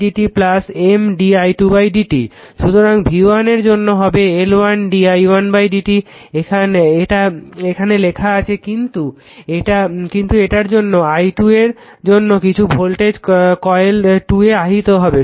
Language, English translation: Bengali, So, this is for your v 1 you write L 1 d i1 upon d t it is written then, but due to this i 2 that some you are voltage will be induced in the coil your what you call coil 1